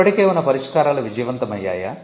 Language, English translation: Telugu, Have the existing solutions been successful